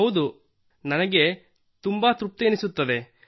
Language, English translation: Kannada, Yes, I get a lot of satisfaction